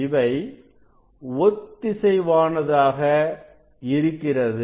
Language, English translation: Tamil, they are coherent, they are coherent